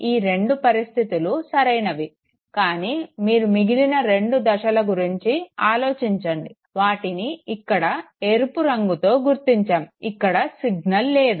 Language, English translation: Telugu, These two conditions are fine, but think of two other conditions that is marked red here okay, that the signal is absent